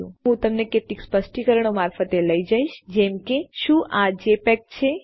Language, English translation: Gujarati, And then after that Ill take you through some specifics to say is this a jpeg